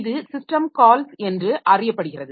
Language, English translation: Tamil, So, they are done by means of system calls